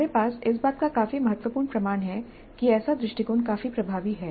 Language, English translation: Hindi, What we have is considerable anecdotal evidence that such an approach is quite effective